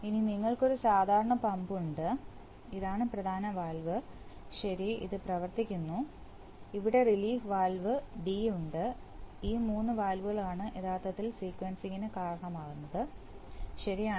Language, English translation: Malayalam, And we have, we have normal pump, this is the main valve, okay, which is being operated, here is the relief valve D and these are the three valves which actually cause the sequencer, right